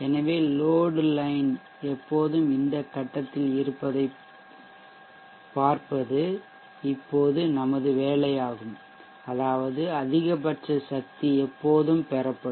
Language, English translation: Tamil, So it is our job now to see that the load line is always at around this point such that maximum power is always drawn